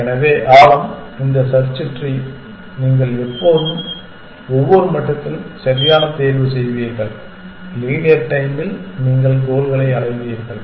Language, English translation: Tamil, So, the depth is this search tree, you will always choose make the correct choice at every level and in linear time you will reach the goals